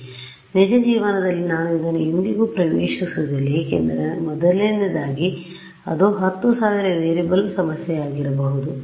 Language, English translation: Kannada, So, in real life I will never have access to this because first of all it will be a may be a 10000 variable problem